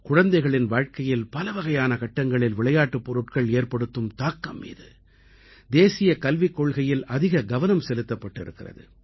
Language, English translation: Tamil, In the National Education Policy, a lot of attention has been given on the impact of toys on different aspects of children's lives